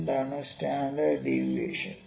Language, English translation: Malayalam, Or what is standard deviation